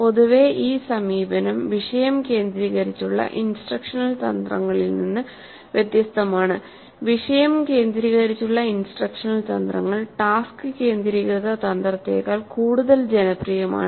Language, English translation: Malayalam, This is different in general, this approach is different from topic centered instructional strategies which is probably more popular than task centered strategy